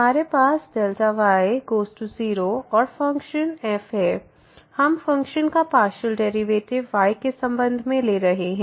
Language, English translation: Hindi, So, delta goes to 0 and then we have the function we are taking the partial derivative of the function so with respect to